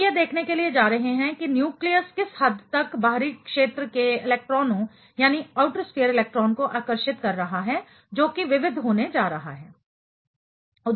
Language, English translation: Hindi, We are going to see the extent to which the nucleus is attracting the outer sphere electron that is also going to be varied